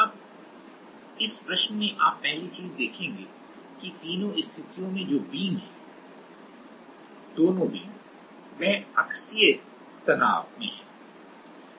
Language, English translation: Hindi, Now, the first thing you will see in this problem is in all the three cases the beams are both the beams are under axial stress